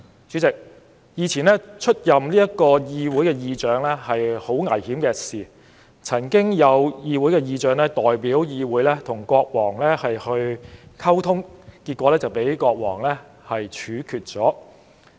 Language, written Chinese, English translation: Cantonese, 主席，以前出任議會議長是很危險的事，曾有議會議長代表議會與國王溝通後被國王處決。, President in the past it was very dangerous to be the speaker of the parliament as a speaker was executed by the king after he communicated with the king on behalf of the parliament